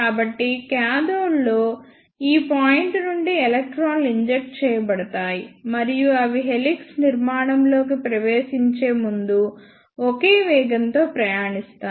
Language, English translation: Telugu, So, electrons are injected from this point from cathode, and they will travel with uniform velocity before entering into the helix structure